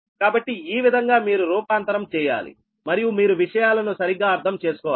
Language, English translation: Telugu, so this way you have to transform and you have to make things correctly right